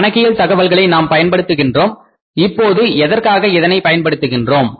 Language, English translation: Tamil, Now why we use the accounting information we use for the different purposes